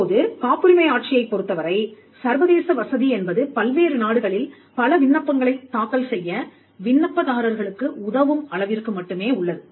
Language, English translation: Tamil, Now, in the case of the patent regime, the international facilitation is only to the point of enabling applicants to file multiple applications in different countries